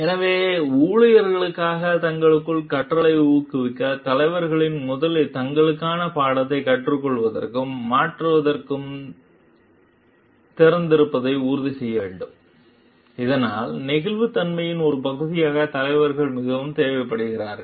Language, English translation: Tamil, So, to encourage learning amongst themselves for the employees, leader should must first ensure like they are open to learning and changing the course for themselves, so that part of flexibility is very much required for the leader